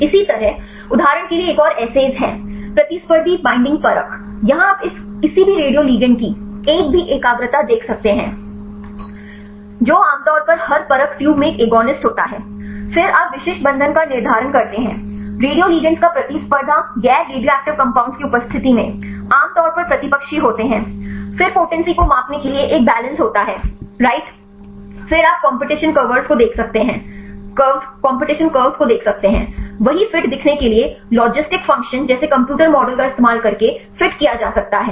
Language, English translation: Hindi, Likewise there is another assays for example, competitive binding assay, here also you can see a single concentration of this any radio ligand usually an agonist in in every assay tube, then you determine the specific binding of the radio ligand in the presence of competing non radioactive compounds usually antagonist, then there is a balance right for measuring the potency, then you can see the competition curves right there can be fitted using computer models like logistic function, to see the fit